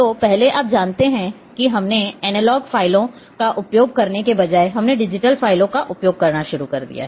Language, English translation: Hindi, So, first you know we thought that instead of using analogue files we started using digital files